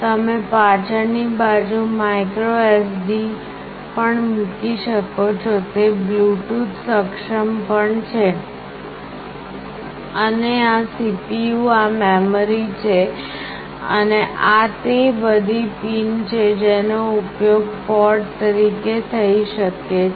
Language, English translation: Gujarati, You can also put a micro SD in this back side, it is also Bluetooth enabled, and this is the CPU, the memory, and these are the pins that can be used as ports